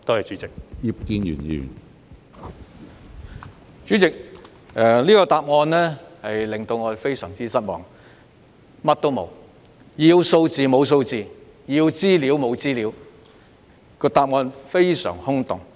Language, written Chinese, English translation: Cantonese, 主席，局長的答覆令我非常失望，當中沒有提供所要求的數字和資料，非常空洞。, President I am very disappointed at the Secretarys reply . His reply is devoid of contents without providing the figures and information required